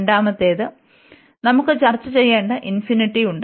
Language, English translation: Malayalam, And the second one, we have this infinity this we have to to discuss